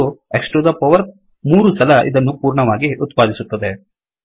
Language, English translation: Kannada, Produces, X to the power 3 times this whole thing